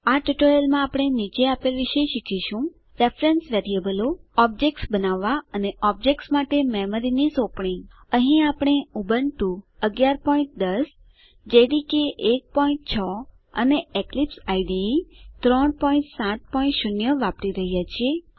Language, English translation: Gujarati, In this tutorial we will learn about: Reference Variables Constructing objects and Memory Allocation for objects Here, we are using: Ubuntu 11.10 JDK 1.6 and Eclipse IDE 3.7.0 To follow this tutorial you must know how to create a simple class using Eclipse